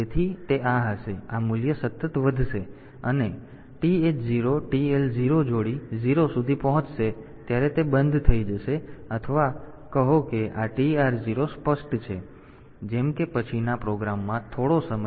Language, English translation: Gujarati, So, they will be this value will be incremented continually, and it will stop when this TH 0 TL 0 pair will reach 0 or say this TR 0 has been is clear, like in a program after some time